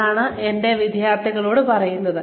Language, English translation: Malayalam, That is what, I keep telling my students